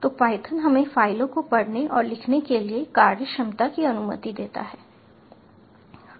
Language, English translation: Hindi, so python allows us the functionality to read and write files